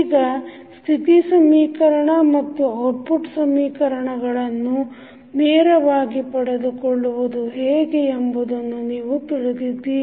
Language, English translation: Kannada, Now, you may be knowing that the state equation and output equations can be obtain directly